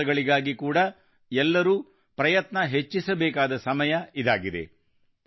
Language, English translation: Kannada, Now is the time to increase everyone's efforts for these works as well